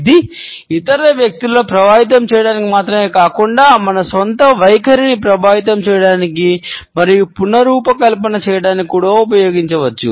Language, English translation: Telugu, And, it can be used not only to influence other people, but it can also be used to influence and reshape our own attitudes